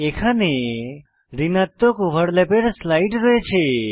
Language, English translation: Bengali, Here is a slide for negative overlaps